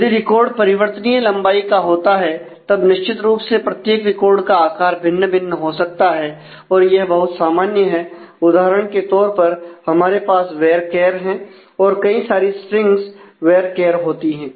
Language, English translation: Hindi, If the record becomes variable length, then certainly every record may of very different size and it is very common for example, we have types like varchar a lot of strings are varchar